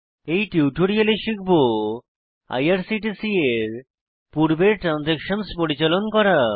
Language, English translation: Bengali, In this tutorial, we will learn how to manage the earlier transactions of irctc